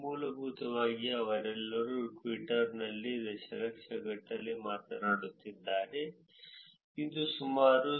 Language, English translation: Kannada, Essentially all of them are talking about in millions in Twitter it’s about 0